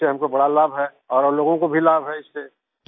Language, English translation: Hindi, It is of great benefit to me and other people are also benefited by it